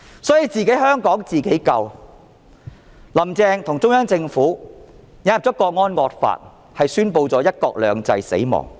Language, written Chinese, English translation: Cantonese, "所以，香港要自己救，"林鄭"與中央政府引入了《港區國安法》是宣布了"一國兩制"死亡。, For that reason what Hong Kong has to do is to save herself . The introduction of the National Security Law in HKSAR by Carrie LAM and the Central Government is tantamount to a declaration of the demise of one country two systems